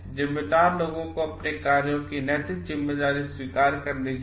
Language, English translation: Hindi, Responsible people must accept moral responsibility of their actions